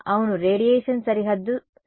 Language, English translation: Telugu, Yeah, what is the problem with a radiation boundary condition